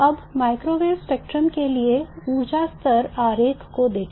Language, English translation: Hindi, Now let us look at the energy level diagram for the microwave spectrum